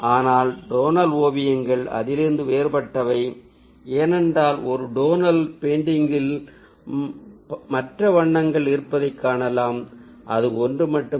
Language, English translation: Tamil, but tonal paintings are different from it, because in a tonal painting we get to see that there are other colors which are present